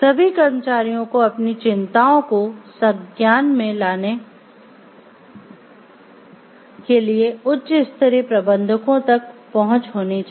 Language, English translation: Hindi, All employees must have a meaningful access to high level managers in order to bring their concerns forward